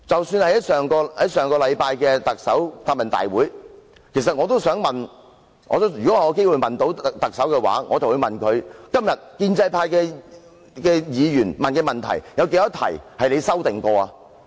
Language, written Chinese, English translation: Cantonese, 在上周的答問會上，如果我有機會提問，我也想問梁振英：今天建制派議員提出的問題當中，有多少問題被你修訂過？, At the Question and Answer Session held last week if I had the opportunity to ask questions I would also like to ask LEUNG Chun - ying Of the questions asked by pro - establishment Members today how many has been amended by you?